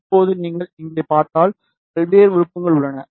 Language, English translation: Tamil, Now, if you see here, there are various options ok